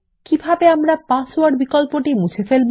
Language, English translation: Bengali, How do we remove the password option